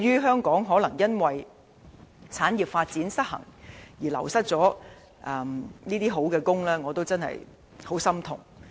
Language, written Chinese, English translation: Cantonese, 香港由於產業發展失衡，而流失了好職位，對此我非常心痛。, I am so sorry about the loss of decent jobs owning to an imbalanced development of industries in Hong Kong